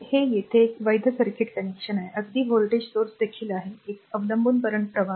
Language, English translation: Marathi, So, it is a valid circuit connection there, even voltage source is there, one dependent current sources